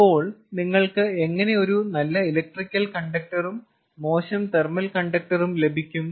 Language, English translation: Malayalam, so how can you have a good electrical conductor and a bad thermal conductor